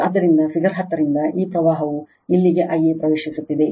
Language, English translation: Kannada, So, from figure 10, these current it is entering here I a